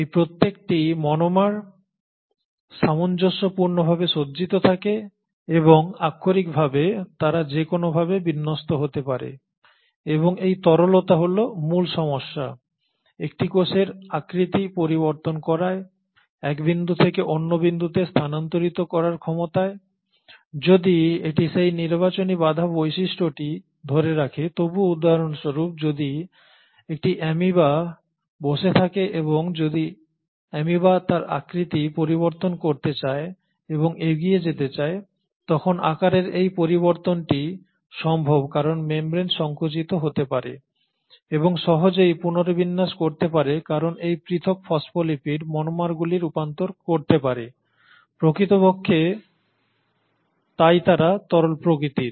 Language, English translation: Bengali, Each of these monomers, it is like they are arranged in tandem and they can literally sway either which way, and that fluidity is the crux for the ability of a cell to change its shape, to move one point to the other, so even though it retains that selective barrier property for example if you have an amoeba sitting, and if the amoeba wants to change its shape and move forward this change in shape is possible because the membrane can contract and can easily rearrange because these individual phospholipid monomers can transition, so they are really fluidic in nature